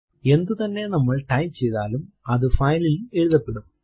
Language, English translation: Malayalam, Whatever we type would be written into the file so type some text